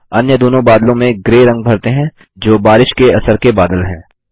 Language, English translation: Hindi, Lets color the other two clouds, in gray as they are rain bearing clouds